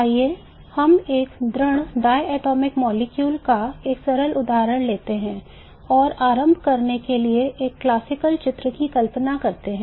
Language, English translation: Hindi, Let's do a simple example of a rigid diatomic molecule and let us assume a classical picture to begin with